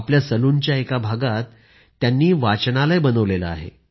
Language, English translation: Marathi, He has converted a small portion of his salon into a library